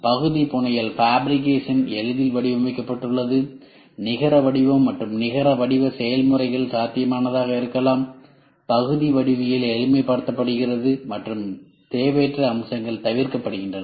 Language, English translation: Tamil, Designed for ease of part fabrication; net shape and near net shape processes may be feasible, part geometry is simplified and unnecessary features are avoided